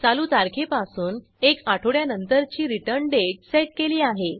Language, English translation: Marathi, We set the return date as one week from current date